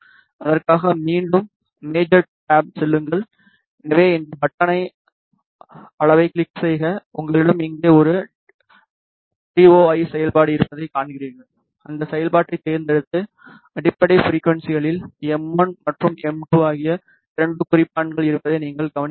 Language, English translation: Tamil, For that again go to the major tab so click on this button measure and you see that you have a TOI function here just select that function and you observe that there are two markers m 1 and m 2 at the fundamental frequencies